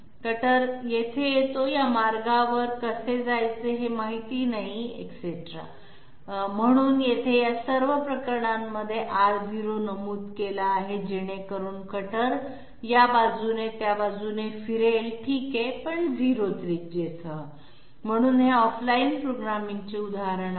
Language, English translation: Marathi, The cutter comes here; it does not know how to move to this path, etc et cetera, so here in all these cases R0 has been mentioned so that the cutter moves from this side to that side okay, so this is an example of off line programming